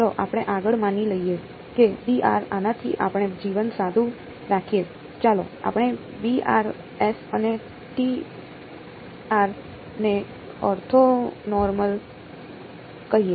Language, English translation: Gujarati, Let us further assume that these b n’s let us keep life simple let us call the b n’s and the t n’s to be orthonormal ok